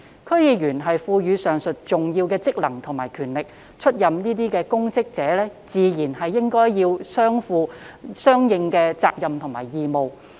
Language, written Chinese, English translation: Cantonese, 區議員獲賦予上述重要職能和權力，出任公職者理應負上相應的責任和義務。, Since DC members are conferred with the aforesaid important functions and powers it is reasonable for people taking up public office to bear the corresponding responsibilities and obligations